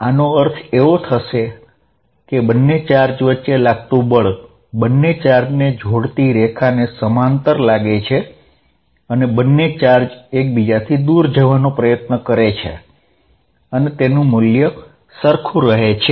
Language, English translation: Gujarati, What it means is that, the force is going to be along the same lines as the line joining the charges and they going to repel each other and the magnitude being the same